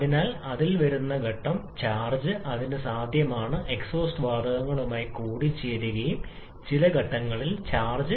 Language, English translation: Malayalam, So, the phase charge that comes in it is possible for that to get mixed with the exhaust gases and also some phase charge may get lost